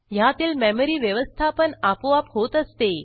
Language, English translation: Marathi, It supports automatic memory management